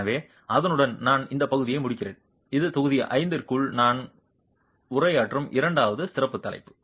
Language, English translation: Tamil, So, with that I conclude this part which is a second special topic that I am addressing within module 5